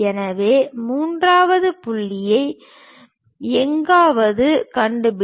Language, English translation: Tamil, So, somewhere locate third point